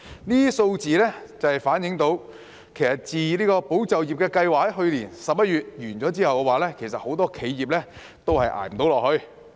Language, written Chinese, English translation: Cantonese, 這些數字反映出，自"保就業"計劃於去年11月結束後，很多企業都撐不下去。, These numbers reflect that many enterprises failed to stay afloat since the Employment Support Scheme ESS ended in November last year